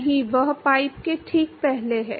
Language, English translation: Hindi, No, that is before the pipe right